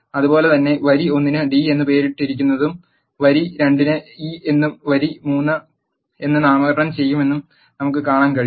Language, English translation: Malayalam, Similarly we can see that row one is named as d, row 2 is named as e and row 3 is named as f